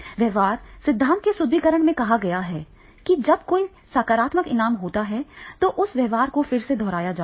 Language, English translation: Hindi, The reinforcement of behavior theory talks about that whenever there is a positive reward, then that behavior is again repeated